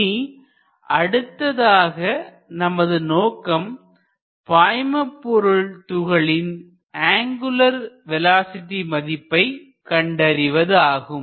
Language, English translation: Tamil, So, the next objective therefore, is finding the angular velocity of the fluid element